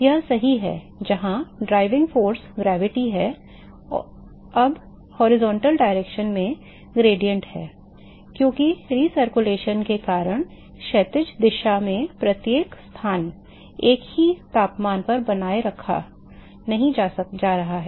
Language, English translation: Hindi, That is correct where the driving force is gravity here now the gradient in the horizontal direction, because of the re circulation not every location in the horizontal direction is going to be maintained at same temperature